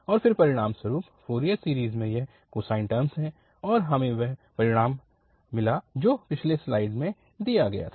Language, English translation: Hindi, And then as a result of this Fourier series is having this cosine terms and we got the result which was just given in the previous slide